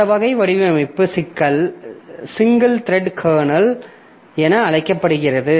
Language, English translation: Tamil, So, this type of design is known as single threaded kernel